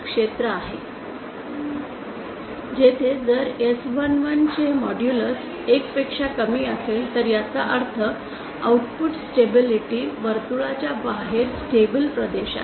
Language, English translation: Marathi, If modulus of s11 is greater than 1 then it means the inside of this circle the stability circle this output stability circle is the stable region